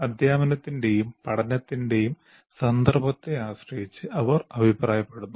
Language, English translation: Malayalam, Depending on the context of teaching and learning, they might suggest that